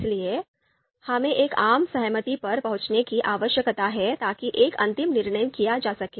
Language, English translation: Hindi, Therefore, we need to reach a consensus so that a final decision could be made